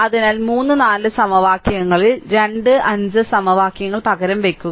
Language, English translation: Malayalam, So, substitute equation 2 and 5 in equation 3 and 4 right